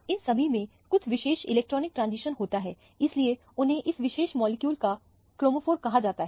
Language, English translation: Hindi, They all have certain electronic transition so they are called the chromophores of that particular molecule